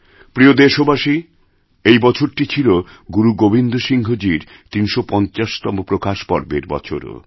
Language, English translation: Bengali, My dear countrymen, this year was also the 350th 'Prakash Parv' of Guru Gobind Singh ji